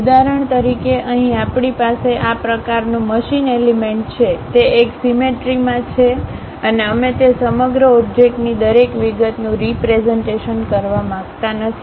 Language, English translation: Gujarati, For example, here we have such kind of machine element; it is a symmetric one and we do not want to really represent each and every detail of that entire object